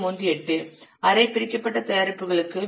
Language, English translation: Tamil, 38 for the semi detached products this is 0